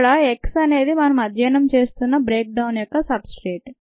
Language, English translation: Telugu, x is the substrate here, the breakdown of which we are studying